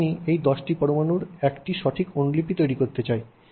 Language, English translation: Bengali, If I want to make an exact copy of these 10 atoms, right